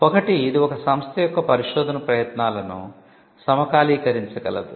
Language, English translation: Telugu, One, it can synchronize the research efforts of an institution